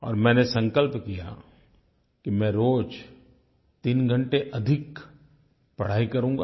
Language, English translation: Hindi, And I have resolved that I would devote three more hours daily towards my studies